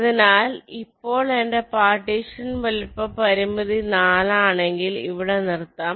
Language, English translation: Malayalam, so now if my partition size constraint is four, let say stop here